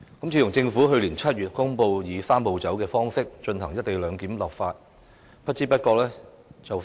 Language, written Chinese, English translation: Cantonese, 自從政府去年7月公布以"三步走"的方式就"一地兩檢"立法，不知不覺已快將1年。, Almost a year has elapsed since the Government announced in July last year the enactment of local legislation on the co - location arrangement by way of the Three - step Process